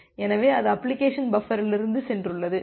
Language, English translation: Tamil, So, that has went from the application buffer